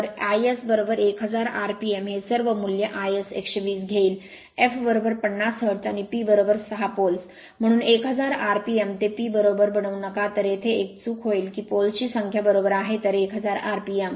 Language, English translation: Marathi, So, it is 1000 rpm substitute all these value it is 120; f f is equal to 50 hertz and P is equal to 6 poles, so 1000 rpm do not make it p r right, then you will make a mistake here is number of poles right, so 1000 rpm